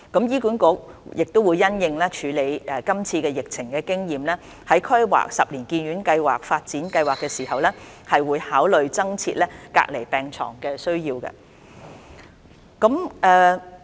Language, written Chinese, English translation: Cantonese, 醫管局亦會因應處理是次疫情的經驗，在規劃十年醫院發展計劃時，考慮增設隔離病床的需要。, HA will also consider the need to set up additional isolation beds based on the experience of handling this epidemic outbreak while drawing up its 10 - year Hospital Development Plan